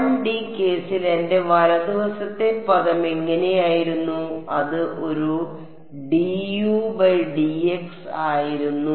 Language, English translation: Malayalam, In the 1D case what was my right hand side term like; it was a d u by d x